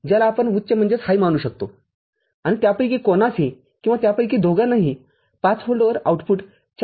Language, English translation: Marathi, Which we can treat as high and corresponding any one of them or both of them at 5 volt the output is at 4